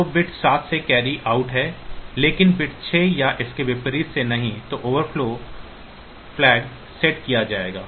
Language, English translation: Hindi, So, there is a carry out of bit 7, but not from bit 6 or vice versa then if the overflow flag will be set